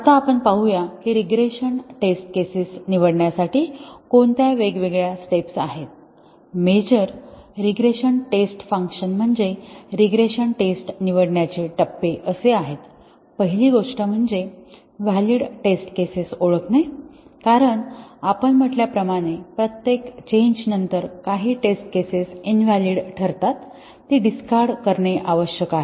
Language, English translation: Marathi, Now, let us see, what are the different steps through which we select the regression test cases, so the major regression testing tasks are the steps in selecting the regression tests; the first thing is to identify the valid test cases because as we said that after every change some test cases become invalid, they need to be discarded